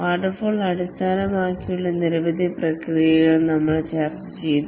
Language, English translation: Malayalam, We discussed several waterfall based processes